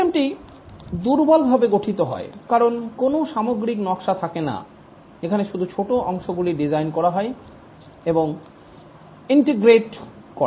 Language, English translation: Bengali, The system is poorly structured because there is no overall design made, it's only small parts that are designed and integrated